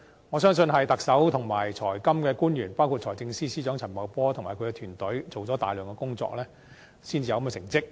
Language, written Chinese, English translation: Cantonese, 我相信是特首及財金官員，包括財政司司長陳茂波及其團隊，做了大量工作，才有這個成績。, I think such an achievement is attributed to the many tasks performed by the Chief Executive and officials in charge of financial and monetary affairs including Financial Secretary Paul CHAN and his team